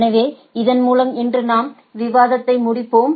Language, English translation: Tamil, So, with this we let us end our discussion today